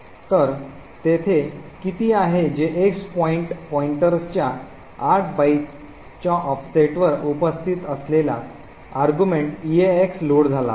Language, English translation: Marathi, So, what is there is that the argument X which is present at an offset of 8 bytes from the frame pointer is loaded into EAX